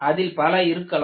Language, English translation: Tamil, They can be many